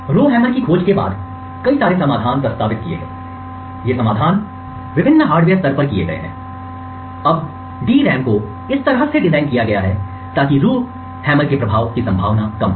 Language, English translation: Hindi, Since the discovery of Rowhammer there have been several solutions that have been proposed, so these solutions have been done at various levels at the hardware level now DRAMs are designed in such a way so that the effect of such that Rowhammer is less likely to happen